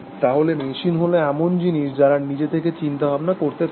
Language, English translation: Bengali, So, machines are thinks, which cannot think on their own